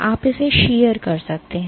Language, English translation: Hindi, You can sheer it